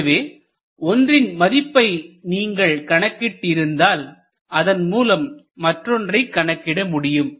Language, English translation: Tamil, So, if you find out one, you can automatically find out the other